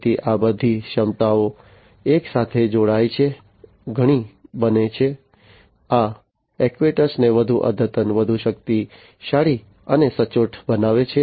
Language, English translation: Gujarati, So, all of these capabilities combine together, becoming much, you know, making these actuators much more advanced, much more powerful, and much more accurate